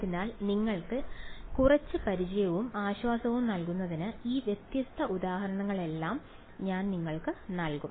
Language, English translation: Malayalam, So, to give you some familiarity and comfort with it, I will give you all of these different examples alright